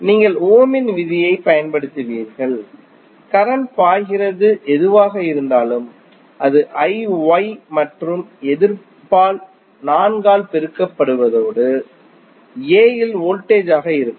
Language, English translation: Tamil, You will use Ohm's law and whatever the current is flowing that is I Y and multiplied by the resistance 4 would be the voltage at node A